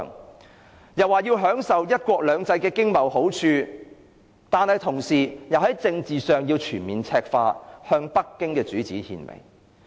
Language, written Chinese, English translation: Cantonese, 他更說要享受"一國兩制"的經貿好處，但同時又要在政治上全面赤化，向北京的主子獻媚。, He expected to benefit from the economic and trade advantages brought about by one country two systems all the while implementing full political communization and flattering the masters in Beijing